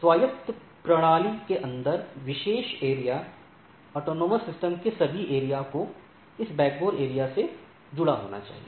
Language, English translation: Hindi, Special area inside autonomous system, all areas in AS must be connected to this backbone area